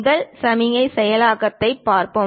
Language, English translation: Tamil, Let us look at first signal processing